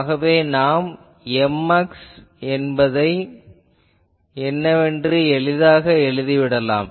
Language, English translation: Tamil, So, we can easily write what will be the M x